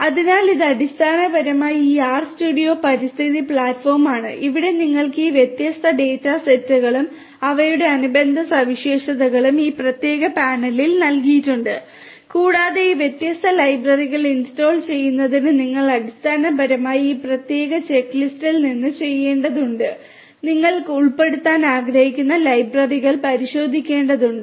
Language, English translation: Malayalam, So, this is basically this RStudio environment platform that you can see over here all these different data sets and their corresponding features are given over here in this particular panel and for installation of these different libraries you have to basically from this particular check list you will have to check the libraries that you want to include